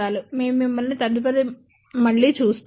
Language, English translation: Telugu, We will see you next time